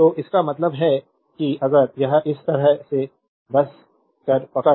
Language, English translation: Hindi, So, this I mean if it is like this just hold on right